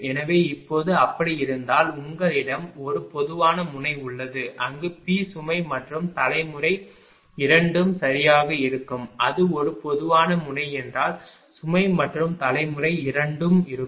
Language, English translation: Tamil, So, now, if it is so, suppose you have a common node where P load and generation both are there right, if it is a common node if load and generation both are there